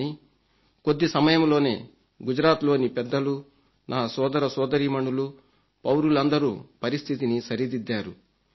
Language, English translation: Telugu, But in a very short span of time, the intelligent brothers and sisters of mine in Gujarat brought the entire situation under control